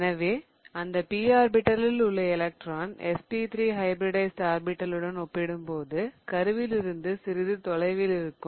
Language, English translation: Tamil, So, the electron in that P orbital is going to be a little away from the nucleus as compared to SP3 hybridized orbital